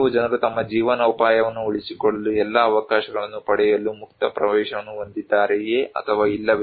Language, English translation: Kannada, Some people whether the people have open access to get all the opportunities to maintain their livelihood or not